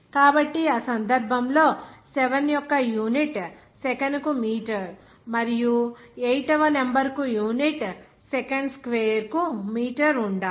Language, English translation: Telugu, So in that case, the unit of 7 will be meter per second and the unit for number 8 should be meter per Second Square